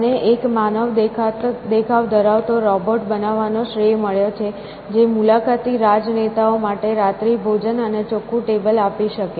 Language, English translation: Gujarati, So, one he is credited with having made an android which could serve dinner and clear tables for the visiting politicians